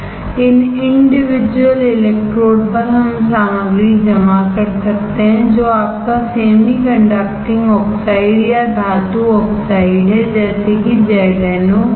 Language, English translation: Hindi, On these individual electrodes we can deposit material which is your semiconducting oxide or metal oxide such as ZnO right